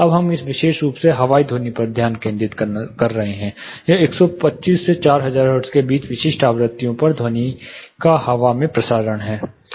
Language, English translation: Hindi, Now we are specifically focusing on airborne sound; that is air to air sound transmission, at specific frequencies between 125 to 4000 hertz